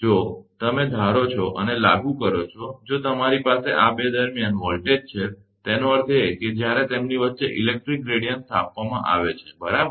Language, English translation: Gujarati, If you assume and apply if you have voltage across this 2; that means, when an electric gradient is set up between them, right